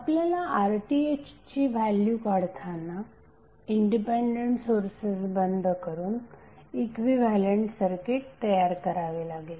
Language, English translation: Marathi, So when we calculate the value of RTh we will create the equivalent circuit by switching off the independent sources